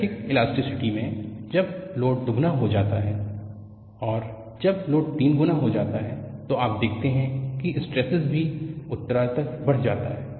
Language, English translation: Hindi, So, in linear elasticity, when the load is double and when the load is triple,the stresses also progressively increase;so, all that you see